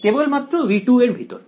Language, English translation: Bengali, Yeah only over v 2